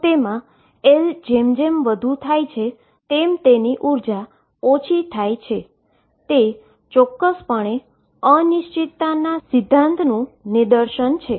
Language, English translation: Gujarati, So, as L becomes larger the energy becomes smaller, this is precisely a demonstration of uncertainty principle